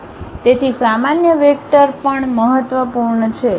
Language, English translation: Gujarati, So, normal vectors are also important